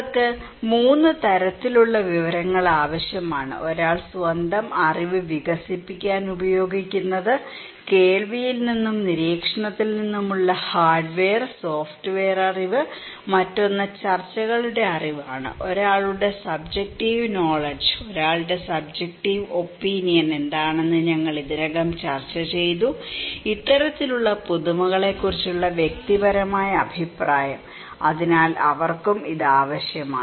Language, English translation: Malayalam, They need 3 kind of informations, one to develop their own knowledge, hardware and software knowledge from hearing and observation, another one is the discussions knowledge, someone's subjective knowledge that we already discussed that what one’s subjective opinion, personal opinion about this kind of innovations so, they also need this one